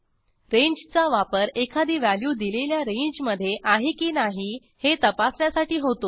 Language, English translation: Marathi, Ranges are used to identify whether a value falls within a particular range, too